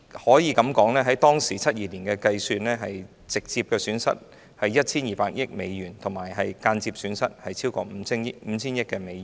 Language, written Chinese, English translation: Cantonese, 按照1972年的計算，中國直接損失 1,200 億美元，間接損失超過 5,000 億美元。, According to the calculation in 1972 the direct and indirect losses of China were US120 billion and more than US500 billion respectively